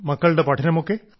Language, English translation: Malayalam, They are studying